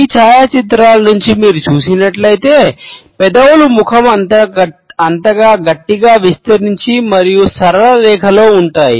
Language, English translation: Telugu, As you can make out from these photographs the lips are is stretched tight across face and the lips are in a straight line